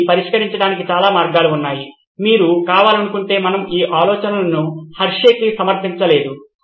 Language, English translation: Telugu, There are many ways to solve this of course we have not submitted these ideas to Hershey’s if you want to